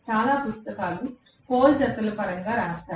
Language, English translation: Telugu, Many books write it in terms of pole pairs